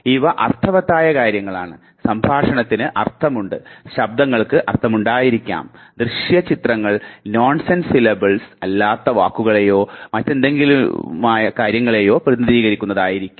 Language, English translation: Malayalam, Because these are meaningful things, speech has it meaning, sounds might have meaning, visual images would represent something and words which is again not nonsense syllables